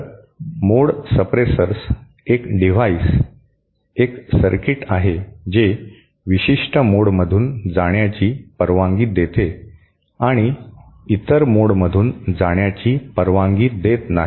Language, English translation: Marathi, So, a mode suppressor is a device is a circuit which allows certain modes to pass through and does not allow other modes to pass through